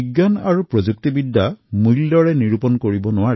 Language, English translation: Assamese, Science and Technology are value neutral